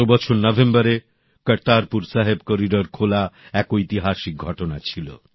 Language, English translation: Bengali, Opening of the Kartarpur Sahib corridor in November last year was historic